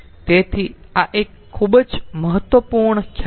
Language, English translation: Gujarati, so this is a very important concept